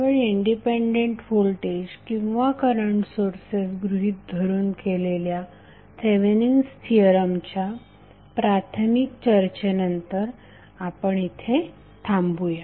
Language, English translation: Marathi, So we stop here with the initial discussion on the Thevenin Theorem when we considered only the independent voltage or current sources